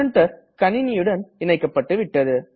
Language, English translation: Tamil, Now, our printer is connected to the computer